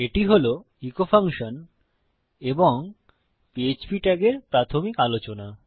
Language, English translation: Bengali, Okay, thats the basics of the echo function and the PHP tags